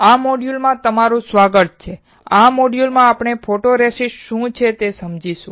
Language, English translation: Gujarati, Welcome to this module and in this module, we will understand what exactly photoresist is